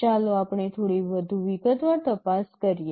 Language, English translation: Gujarati, Let us look into a little more detail